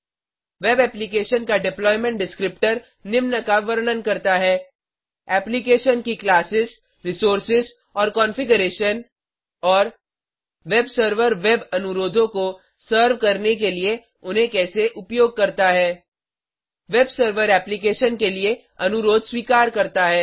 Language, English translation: Hindi, A web applications deployment descriptor describes: the classes, resources and configuration of the application and how the web server uses them to serve web requests The web server receives a request for the application